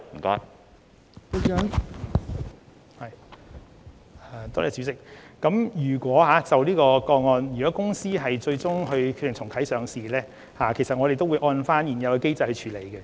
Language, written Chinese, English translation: Cantonese, 代理主席，就這宗個案，如果螞蟻集團最終決定重啟上市程序，我們會按照現行機制處理。, Deputy President in the case of Ant Group if the company later decides to reactivate its listing application we will follow the existing mechanism in processing the application